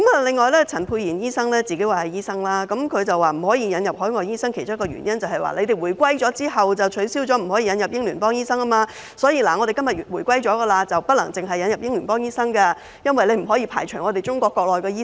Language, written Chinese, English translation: Cantonese, 此外，陳沛然議員說自己是醫生，他指不可以引入海外醫生的其中一個原因，是香港回歸後，已取消引入英聯邦醫生，現在若要引入海外醫生，便不可以只引入英聯邦醫生，因為不能排除中國國內的醫生。, Besides Dr Pierre CHAN said he himself is a doctor . He claimed that one of the reasons why overseas doctors should not be admitted was that after the reunification of Hong Kong the practice of admitting doctors from Commonwealth countries was abolished . Now if we admit overseas doctors we cannot only admit doctors from Commonwealth countries because we cannot exclude doctors from Mainland China